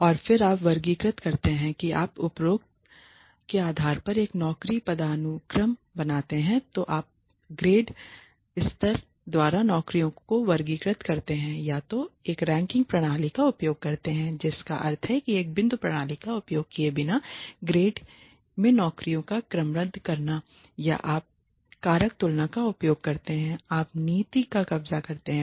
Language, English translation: Hindi, And then you classify you create a job hierarchy based on the above then you classify the jobs by grade levels using either a ranking system which means sorting jobs into grades without using a point system or you use factor comparison, you policy capturing